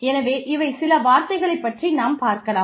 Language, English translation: Tamil, So, these are just some terms, that we will deal with